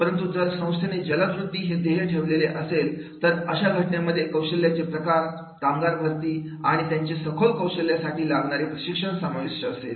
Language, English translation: Marathi, But if the organization is going for the rapid growth, then in that case the skill type will be staff and train for the broad skills